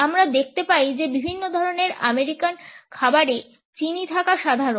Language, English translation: Bengali, We find that it is common in different types of American foods to have sugar